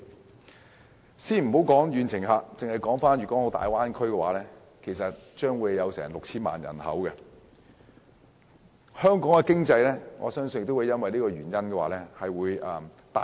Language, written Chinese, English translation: Cantonese, 我們暫且不談遠程旅客，單單粵港澳大灣區也有 6,000 萬人口，我相信香港經濟也會被大灣區帶動。, Long - haul tourists aside I believe the Guangdong - Hong Kong - Macao Bay Area which alone boasts a population of 60 million will eventually drive the economy of Hong Kong forward